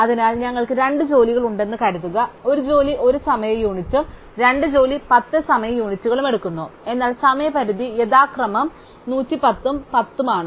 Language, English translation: Malayalam, So, suppose we have 2 jobs job 1 takes 1 time unit and job 2 takes 10 time units, but the deadlines are 110 and 10 respectively